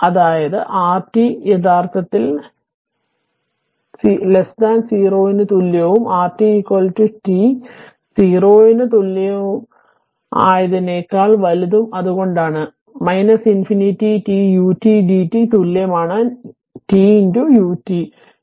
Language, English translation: Malayalam, So, r t is equal to actually 0, for t less than equal to 0 and r t is equal to t for t greater than equal to 0 right that is why; minus infinity to t u t d t is equal t into u t